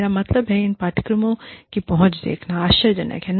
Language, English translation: Hindi, I mean, it is amazing, to see the outreach of these courses